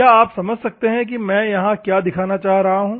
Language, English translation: Hindi, Can you understand what I am showing here